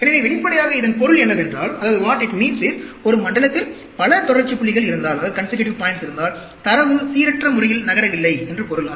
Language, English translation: Tamil, So, obviously, what it means is, if there are too many consecutive points in one zone, that means, that data is not moving random